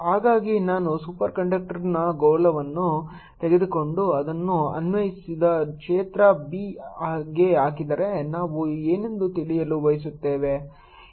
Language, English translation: Kannada, so if i take a sphere of superconductor and put in an applied field b applied, we would like to know what is m inside and what is the net h